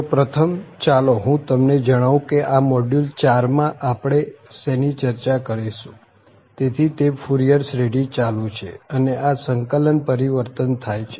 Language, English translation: Gujarati, So, just first, let me tell you what we will be covering in this module four, so it’s Fourier series on and this integral transforms